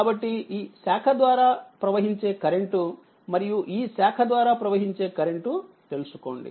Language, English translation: Telugu, So, find out the your current through this branch, and current through this branch right